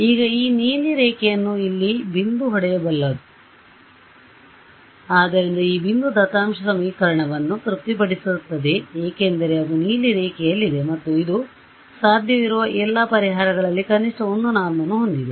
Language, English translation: Kannada, Now, what is the earliest I can hit this blue line is at this point; so, this point over here it satisfies the data equation because it is on the blue line and it of all possible solutions it is that which has the minimum 1 norm right